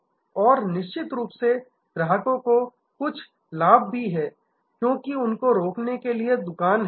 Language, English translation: Hindi, And of course, the customers also have some benefits, because they have one stop shop